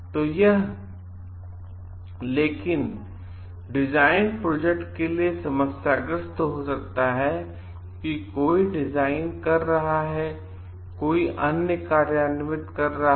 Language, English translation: Hindi, So, but this design only projects may be problematic because somebody one is designing and the other is implementing